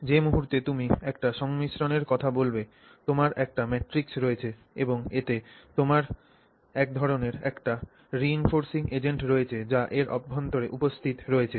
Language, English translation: Bengali, The moment you talk of a composite you have a matrix and you have some kind of a reinforcing agent in it which is present inside it